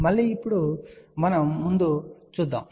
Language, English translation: Telugu, Again now, let us move on